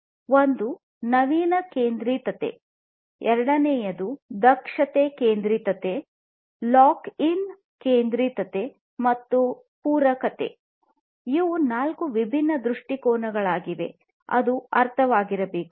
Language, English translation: Kannada, One is the novelty centricity, second is the efficiency centricity, lock in centricity, and the complementarity; these are the four different perspectives four different aspects that will need to be understood